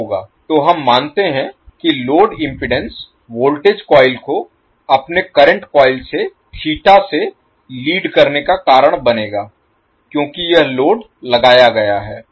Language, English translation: Hindi, So we assume that the load impedance will cause the voltage coil lead its current coil by Theta because this is the load which is applied